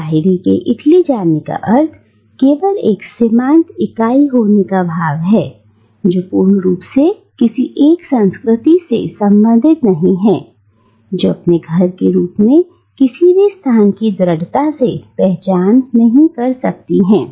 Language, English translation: Hindi, And Lahiri’s move to Italy has only accentuated the sense of being a marginal entity who does not fully belong to any one particular culture, and who cannot firmly identify anyone place as her home